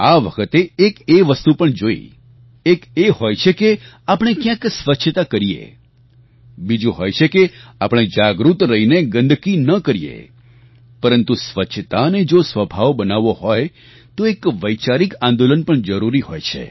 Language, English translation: Gujarati, I noticed something else this time one is that we clean up a place, and the second is that we become aware and do not spread filth; but if we have to inculcate cleanliness as a habit, we must start an idea based movement also